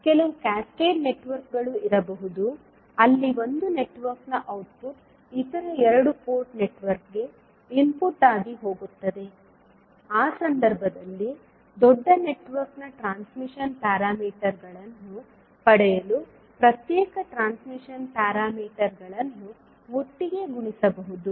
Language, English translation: Kannada, There may be some cascaded networks also where the output of one network goes as an input to other two port network, in that case individual transmission parameters can be multiplied together to get the transmission parameters of the larger network